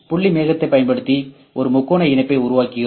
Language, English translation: Tamil, Using the point cloud we create a triangle mesh ok